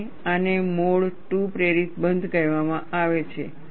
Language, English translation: Gujarati, And, this is called a mode 2 induced closure